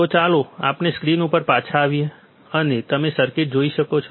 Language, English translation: Gujarati, So, Let us come back on the screen and you will see the circuit